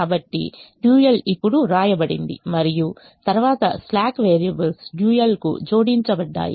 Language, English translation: Telugu, so the dual is now written and then the slack variables are added to the dual, so the dual is a